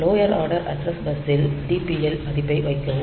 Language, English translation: Tamil, So, in the lower order address bus put the value DPL